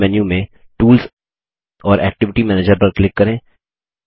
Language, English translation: Hindi, From the Main menu, click Tools and Activity Manager